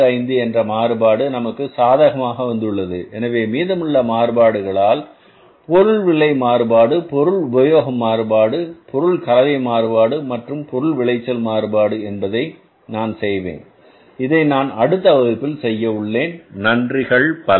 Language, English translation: Tamil, So the remaining variance we also have to calculate for this problem that is the material price variance, material usage variance, material mixed variance and the material yield variance that I will do I will do and discuss in the next class thank you very much I'm going to be